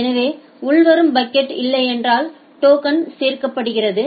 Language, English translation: Tamil, So, if there is no incoming packet then the token is getting added